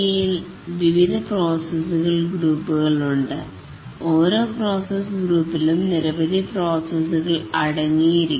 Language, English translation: Malayalam, Each process group consists of several processes